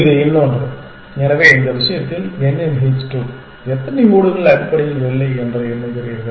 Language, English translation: Tamil, That is another, so in this case h 2 of n, you simply count how many tiles are out of place essentially